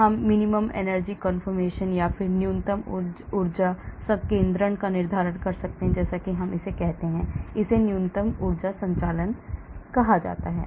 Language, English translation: Hindi, we can determine the minimum energy conformation as we call it, that is called the minimum energy conformation and then what is the bioactive conformation